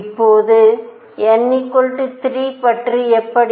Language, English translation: Tamil, Now how about n equals 3